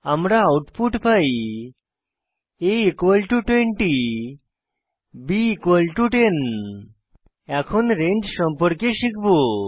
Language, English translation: Bengali, We get the output as a=20 b=10 We will now learn about range in Ruby